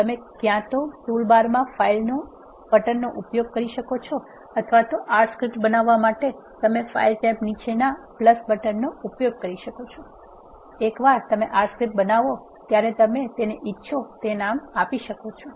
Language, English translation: Gujarati, You can either use file button in the toolbar or you can use the plus button just below the file tab to create an R script, once you create an R script you can save it with whatever name you want